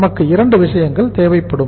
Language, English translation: Tamil, We will have to require 2 things